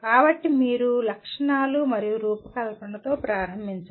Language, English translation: Telugu, So you start with specifications and design